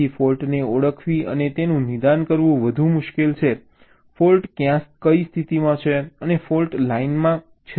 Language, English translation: Gujarati, so it is much more difficult to identify and diagnose the fault, where the fault is located and what is the fault line, right